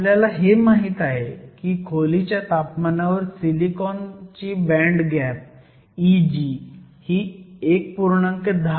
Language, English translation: Marathi, We know the band gap of silicon E g at room temperature is 1